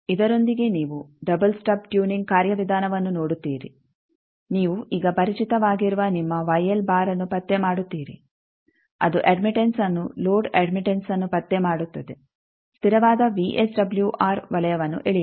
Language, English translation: Kannada, With this you see the procedure for double stub tuning, you locate your Y l dash that you are now familiar, that locate the admittance load admittance draw the constant VSWR circle